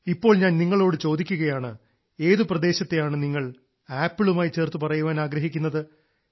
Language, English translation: Malayalam, Now, for example, if I ask you which the states that you would connect with Apples are